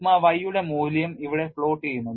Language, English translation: Malayalam, The value of sigma y is plotted here